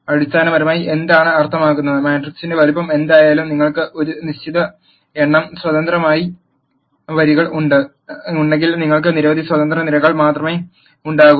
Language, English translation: Malayalam, What it basically means is, whatever be the size of the matrix, if you have a certain number of independent rows, you will have only those many numbers of independent columns and so on